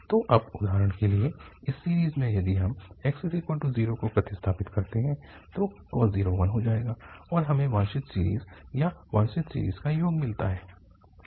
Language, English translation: Hindi, So, now if we substitute x equal to zero for instance in this series, so cos 0 will become one and we have the desired series or the sum of the desired series